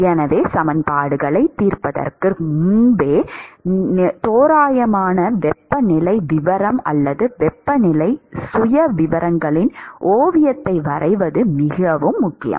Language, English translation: Tamil, So, it is very important to be able to get an approximate temperature profile or sketch of the temperature profiles even before solving the equations